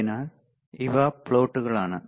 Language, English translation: Malayalam, So, these are the plots